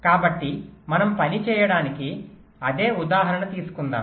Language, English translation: Telugu, so lets, lets take the same example to work it